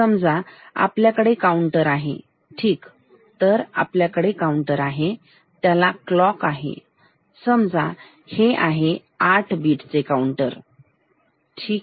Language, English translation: Marathi, Suppose, if we have a counter, ok, so we have a counter and it has a clock and so say this is 8 bit counter, ok